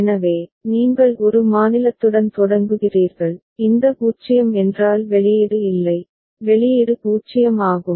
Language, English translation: Tamil, So, you begin with state a, this 0 means no output, output is 0